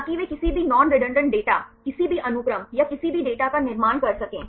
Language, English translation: Hindi, So, that they can form any non redundant data, any sequences or any data